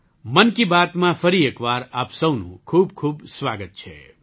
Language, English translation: Gujarati, Once again, a very warm welcome to all of you in 'Mann Ki Baat'